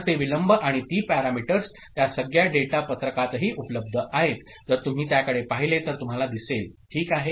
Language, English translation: Marathi, So, those delays, and those parameters, those terms are also available in the data sheet, if you look at it you can see that there ok